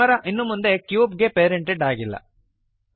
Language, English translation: Kannada, The camera is no longer parented to the cube